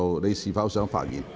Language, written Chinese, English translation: Cantonese, 你是否想發言？, Do you wish to speak?